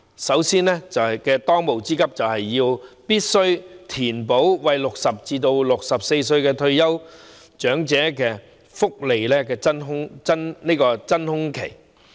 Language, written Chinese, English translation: Cantonese, 首先，當務之急就是必須填補60歲至64歲這段福利真空期。, First the pressing task is to fill the welfare void for the 60 to 64 age group